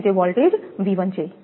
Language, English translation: Gujarati, So, it is voltage is V 1